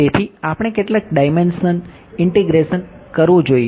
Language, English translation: Gujarati, So we have to do what how many dimensional integration